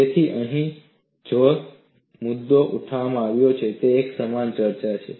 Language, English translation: Gujarati, So, the point that is raised here is a discussion something similar to that